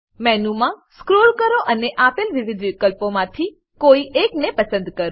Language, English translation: Gujarati, Scroll down the menu and choose from the various options provided